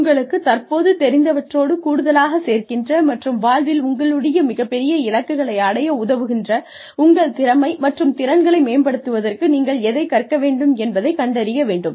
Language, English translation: Tamil, Identify, what you can learn, to improve your potential, and the skills, that you can add to, what you currently know, and help you in, your larger goal in life